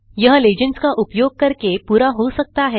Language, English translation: Hindi, This is accomplished using legends